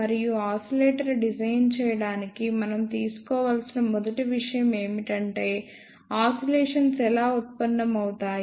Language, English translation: Telugu, And to design a oscillator, the first thing which we need to know is how oscillations are generated